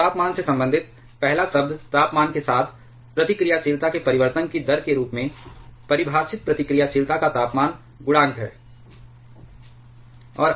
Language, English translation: Hindi, So, related to the temperature the first term is temperature coefficient of reactivity defined as the rate of change of reactivity with temperature